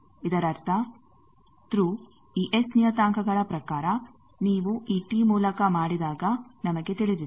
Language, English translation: Kannada, That means, Thru when you make through this T in terms of this S parameters, we know